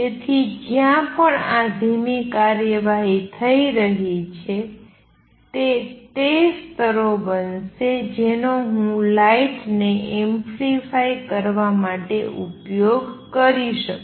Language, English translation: Gujarati, So, wherever this slow action taking place that is those are going to be the levels for which I can use to amplify the lights